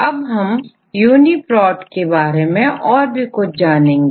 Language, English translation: Hindi, Now, we will explain more about the contents of UniProt